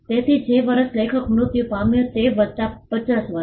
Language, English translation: Gujarati, So, the year on which the author died plus 50 years